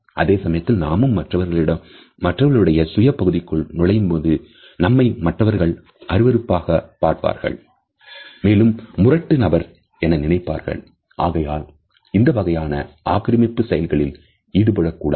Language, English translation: Tamil, At the same time if we encroach upon the personal space of another person we would obviously be termed as obnoxious and rude people and therefore, these type of encroachments should be avoided